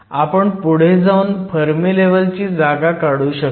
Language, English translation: Marathi, We can go ahead and calculate the position of the fermi level